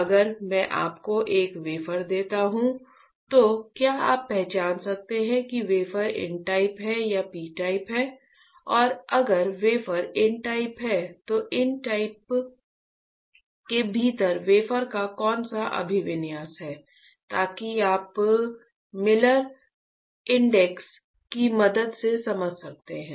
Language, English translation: Hindi, How so, if I give you a wafer, can you identify whether the wafer is n type or whether the wafer is p type and if the wafer is n type, then within n type which orientation the wafer has, so that you can understand with the help of Miller indices or Miller index